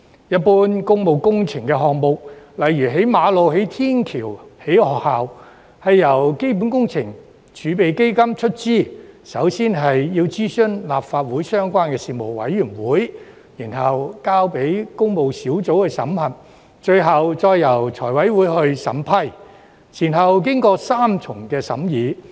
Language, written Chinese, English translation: Cantonese, 一般工務工程項目，例如興建馬路、天橋或學校，是由基本工程儲備基金出資，並首先要諮詢立法會相關事務委員會，然後交由工務小組委員會審核，最後再由財委會審批，前後經過三重審議。, General public works projects such as constructing roads bridges or schools are usually funded by the Capital Works Reserve Fund with the Government consulting the relevant Panels of the Legislative Council first before the items are scrutinized and approved by the Public Works Subcommittee PWSC and FC respectively . This is a three - tier scrutiny